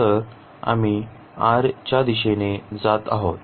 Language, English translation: Marathi, So, we are moving in the direction of r